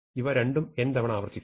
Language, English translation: Malayalam, So, we will replace n by n by 2